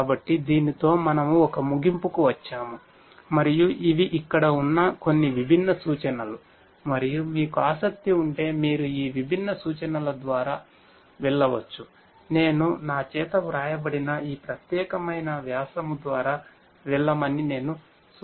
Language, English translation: Telugu, So, with this we come to an end and these are some of these different references that are there and you know if you are interested you could go through these different references, I would suggest that you go through this particular paper that was authored by me